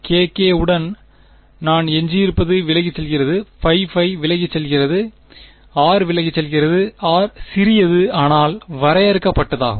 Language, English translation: Tamil, What I am left with k k goes away pi pi goes away r goes away, r is small but finite